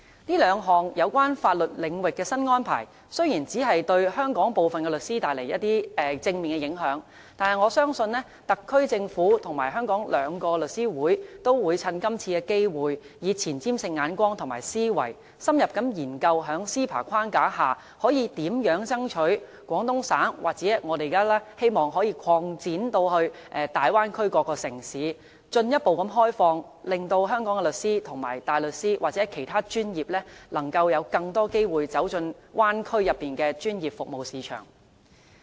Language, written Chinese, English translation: Cantonese, 這兩項有關法律領域的新安排，雖然只對香港的部分律師帶來正面影響，但我相信特區政府和香港兩個律師會都會趁今次機會，以前瞻性的眼光和思維，深入研究在 CEPA 框架下，可以如何爭取廣東省，或我們現在希望可以擴展的大灣區各個城市進一步開放，令香港的律師和大律師，或其他專業人士，能夠有更多機會走進大灣區內的專業服務市場。, I believe that although only some legal practitioners in Hong Kong can benefit from these two new legal arrangements I believe the SAR Government and the two lawyers associations will capitalize on this opportunity with a forward - looking perspective and mindset and under the framework of CEPA study in - depth how we can strive for the further opening up of the Guangdong Province as well as other cities in the Bay Area for Hong Kong solicitors and barristers or other legal professionals to have more opportunities to enter the professional services markets in the Bay Area